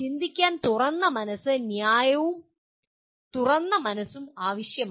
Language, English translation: Malayalam, Thinking requires open mind, a fair and open mind